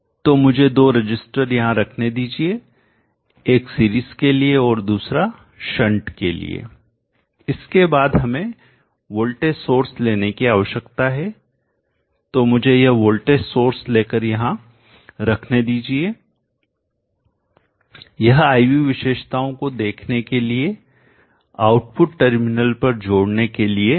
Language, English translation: Hindi, So let me place two resistors there one for the PDS and another for the shunt then we need to pick voltage source, so let me pick this voltage source and place it here this is for connecting across output terminals to see the IV characteristics